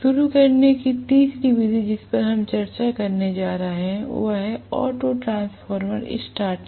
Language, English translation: Hindi, The third method of starting that we are going to discuss is auto transformer starting